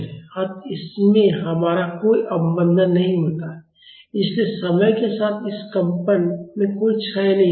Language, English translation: Hindi, So, in this we have no damping so, there is no decay in this vibration with time